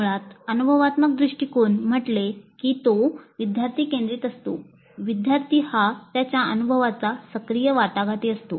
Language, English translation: Marathi, Basically the experience, experiential approach says that it is learner centric, learner as active negotiator of his experience